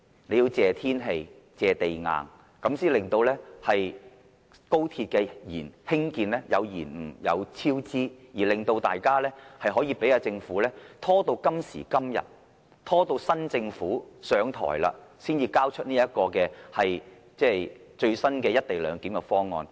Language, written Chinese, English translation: Cantonese, 政府要感謝天氣，感謝地硬，這樣才能令高鐵工程延誤和超支，令大家可以讓政府拖拉至今時今日，拖拉至新政府上台才提交這項最新的"一地兩檢"方案。, The Government must be grateful to the weather and the hard rocks because without their help the construction works of the XRL would not have run into delays and cost overruns and it would not have been possible for the Government to delay handling the issue and handing in the present co - location arrangement until so late until the time of the new administration